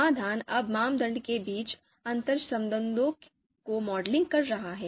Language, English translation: Hindi, Solution is now modeling the interrelations between criteria